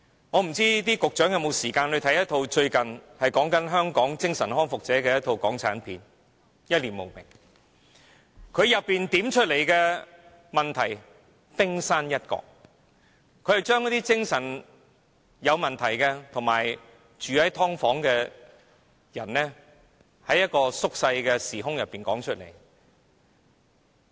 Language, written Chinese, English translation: Cantonese, 我不知道局長有否時間看看最近一齣關於香港精神康復者的港產片"一念無明"，當中點出的只是問題的冰山一角，電影把精神有問題和住在"劏房"的人在一個縮小的時空中道出來。, I do not know if the Secretary has time to watch a recently - released Hong Kong movie called Mad World . It is about ex - mentally ill persons . The movie only shows the tip of the iceberg of the problem